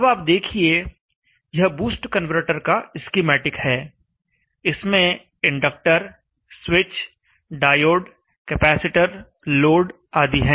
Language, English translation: Hindi, Now we will see that this is schematic of the boost converter, inductor, switch, diode, capacitor, load